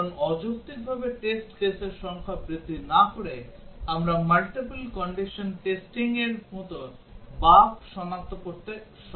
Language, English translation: Bengali, Because without unduly increasing the number of test cases, we are able to detect almost as much bug as the multiple condition testing